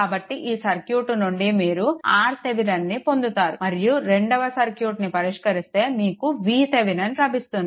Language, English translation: Telugu, So, you have from here, you will get R Thevenin and from here solving this circuit, you will get V Thevenin